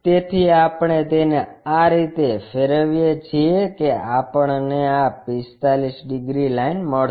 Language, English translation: Gujarati, So, we rotate it in such a way that we will get this 45 degrees line